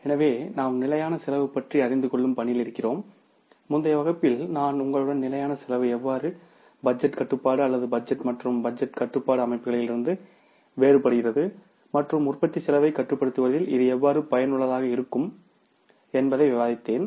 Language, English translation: Tamil, So, we are in the process of learning about the standard costing and in the previous class I discussed with you that how the standard costing is different from the budgetary control or the budget and budgetary control systems and how it is useful in controlling the cost of production